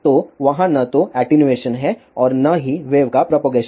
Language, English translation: Hindi, So, there is neither attenuation nor propagation of the wave